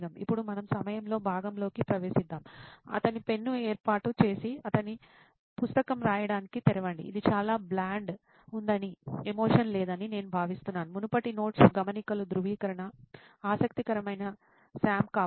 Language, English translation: Telugu, Now let us get into the ‘During’ part, set up his pen and open his book to write, I think it is pretty bland, no emotion; Verification of previous notes, maybe a curious Sam